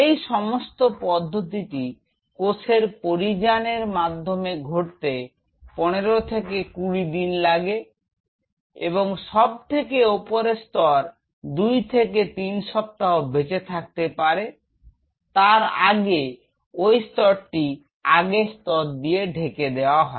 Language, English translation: Bengali, And this whole process this migration of the cell takes around 15 to 20 days and at the top layer these cells survive for 2 to 3 weeks before they are sluft off and the previous layer moves to the upper layer